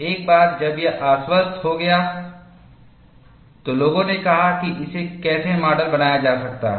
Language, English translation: Hindi, Once it was convinced, people said how it could be modeled